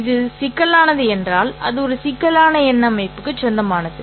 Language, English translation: Tamil, If it is complex, then it happens to belong to a complex number system